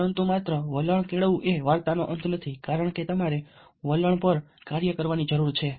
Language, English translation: Gujarati, but just developing an attitude is not the end of the story, because you need to act upon an attitude